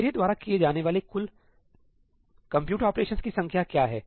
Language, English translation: Hindi, What is the total number of compute operations I am doing